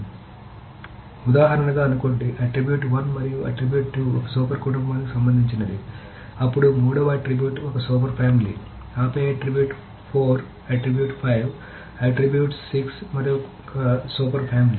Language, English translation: Telugu, So, essentially, suppose the example is that attribute 1 and attribute 2 is pertaining to one super family, then attribute 3 by itself is one super family, then attribute 4, attribute 5, attribute 6 is another super family